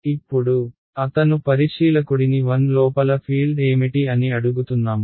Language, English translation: Telugu, Now, he is asking the observer 1 hey what is the field inside ok